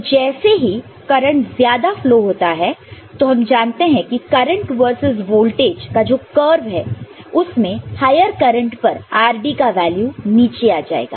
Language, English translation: Hindi, Of course, the more current flows, we know the current versus voltage curve, by which at higher current, the rd value will come down